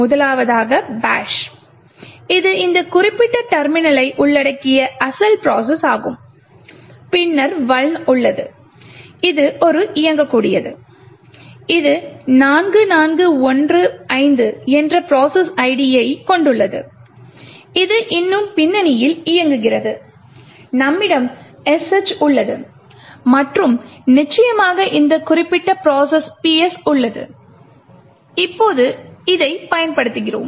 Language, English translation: Tamil, First, is the bash which is the original process comprising of this particular terminal, then you have the vuln executable, which has a process ID 4415 and it is still running in the background, we have sh and of course this particular process PS which we have just used